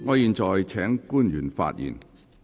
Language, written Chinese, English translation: Cantonese, 我現在請官員發言。, I now call upon the public officers to speak